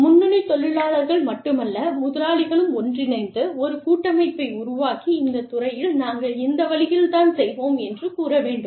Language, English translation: Tamil, Not only the frontline workers, but the employers could get together, and form a confederation, and say, in this industry, this is the way, we will do it